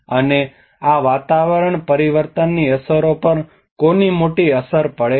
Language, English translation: Gujarati, And who have a bigger impact on these climate change impacts